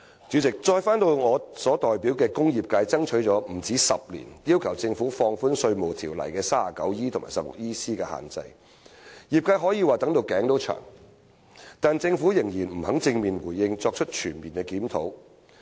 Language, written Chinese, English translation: Cantonese, 主席，我代表的工業界爭取了不止10年，要求政府放寬《稅務條例》第 39E 條及第 16EC 條的限制，業界可以說是"等到頸也長了"，但政府仍然不肯正面回應或作出全面檢討。, President the industrial sector which I represent has demanded for over a decade that the Government should relax the restrictions imposed by sections 39E and 16EC of the Inland Revenue Ordinance . The sector has been waiting for far too long but the Government still refuses to give a positive response or carry out a comprehensive review